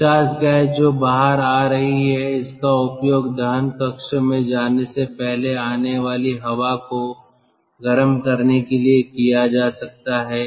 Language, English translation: Hindi, ah, it is like this: the exhaust gas which is coming out that can be used to heat the incoming air before it goes to the combustion chamber